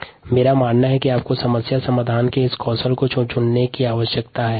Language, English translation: Hindi, however, i believe that you need to pick up these skills of problem solving